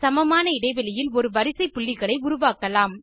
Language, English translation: Tamil, Let us create a sequence of equally spaced points